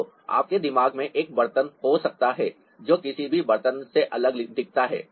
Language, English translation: Hindi, so you may have a pot in your mind which looks different from any other pots